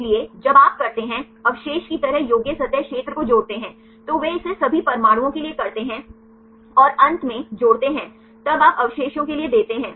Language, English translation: Hindi, So, when you do they residue wise accessible surface area they add up, they do it for all the atoms and finally, add up then you give for the residue